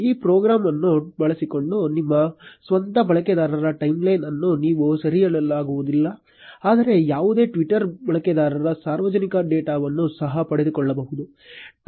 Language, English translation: Kannada, Using this program, you cannot just capture your own user timeline, but also fetch the public data of any Twitter user